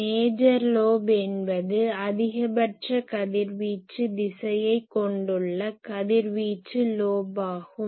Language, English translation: Tamil, Major lobe is radiation lobe that contains the maximum radiation direction